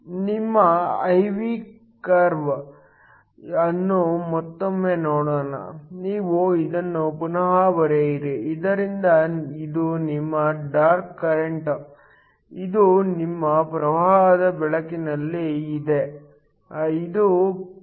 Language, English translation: Kannada, Let us once more look at your I V curve, you just redraw this so this is your dark current, this is your current under illumination, this point is Voc